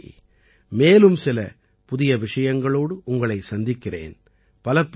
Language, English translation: Tamil, See you next time, with some new topics